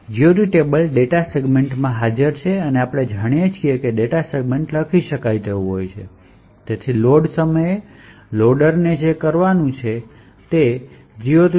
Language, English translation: Gujarati, The GOT table is present in the data segment and as we know the data segment is writable, therefore, at load time all that the loader needs to do is go and fill in the GOT table